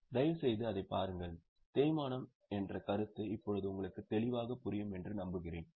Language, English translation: Tamil, Please have a look at it and I hope you are the concepts of depreciation are more clear to you now